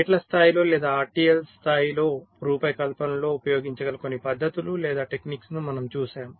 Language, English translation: Telugu, we have seen some methods or techniques which can be use at the level of gates, or at the so called atrial level design